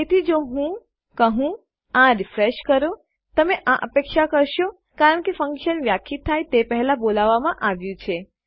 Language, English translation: Gujarati, So if I say, refresh this, youll expect this because the function is being called before its been declared